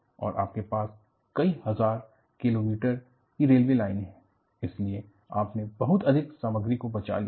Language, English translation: Hindi, And, you have several thousand kilometers of railway line, so, you have enormously saved the material